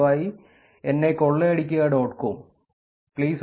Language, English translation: Malayalam, There used to be a website called please rob me dot com (pleaserobme